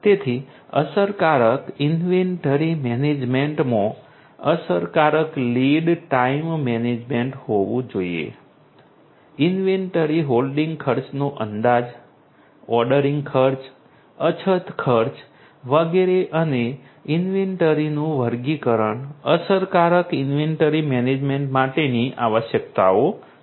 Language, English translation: Gujarati, So, effective inventory management should have effective lead time management, estimating the inventory holding costs, ordering costs, shortage costs etcetera and classification of inventories these are the requirements for effective inventory management